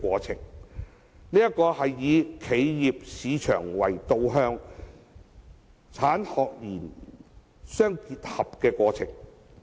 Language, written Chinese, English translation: Cantonese, 這是以企業市場為導向，產學研互相結合的過程。, That is a process directed by the business market with the collaboration of the industry academia and research sectors